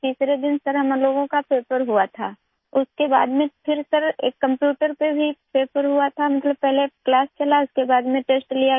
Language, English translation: Hindi, On the third day, sir, we had our paper… after that sir, there was a paper also on the computer… meaning, first the class was conducted and then the test was taken